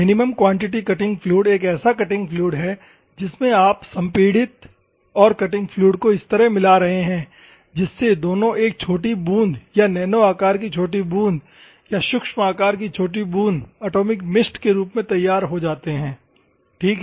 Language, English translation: Hindi, minimum quantity cutting fluid is nothing but you have a cutting fluid, you have a highly compressed air ok, both mixes and comes in a droplet or nano size droplet or micro size droplet, atomized mist ok